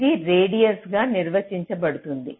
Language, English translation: Telugu, this will define as a radius